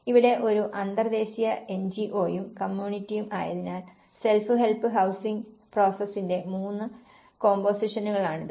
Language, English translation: Malayalam, Here, an international NGO plus the community so, this is the three compositions of the self help housing process which we will be discussing further